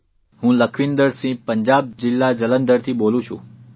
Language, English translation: Gujarati, "I am Lakhwinder Singh from Jalandhar, Punjab